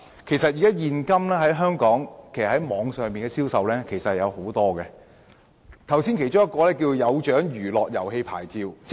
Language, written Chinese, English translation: Cantonese, 現時香港網絡銷售相當普遍，主體質詢亦提到"有獎娛樂遊戲牌照"。, At present online sales are quite common in Hong Kong and the main question also mentions the Amusements with Prizes Licence